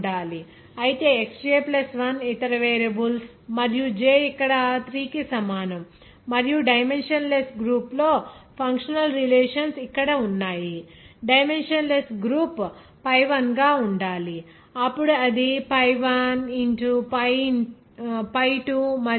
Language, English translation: Telugu, Whereas X j + 1ramaining other variables there and general j is equal to 3 here and functional relationships among the dimensionless group is here this should be then dimensionless groups as pi I then it will be represented as function of pi 1 pi2and…